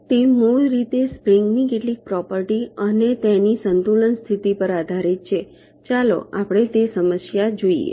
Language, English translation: Gujarati, so it is basically based on some property of springs and their equilibrium condition